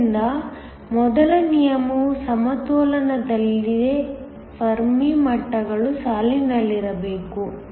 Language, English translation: Kannada, So, the first rule is at equilibrium, the Fermi levels must line up